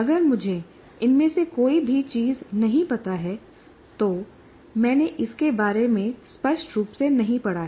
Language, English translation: Hindi, First of all if I do not know any of these things I haven't read about it obviously I do not know